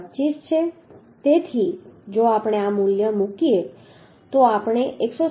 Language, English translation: Gujarati, 25 so if we put this value we can find out as 127